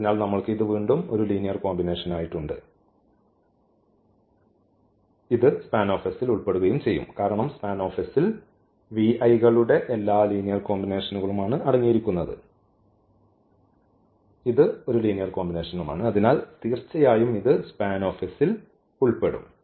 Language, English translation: Malayalam, So, we have again this as a linear combination so, this will also belong to span S because this span S contains all linear combination of the v i’s and this is a linear combination so, definitely this will also belong to the span S